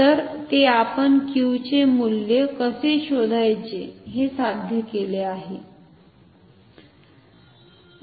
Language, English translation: Marathi, So, we have achieved it how to find the value of Q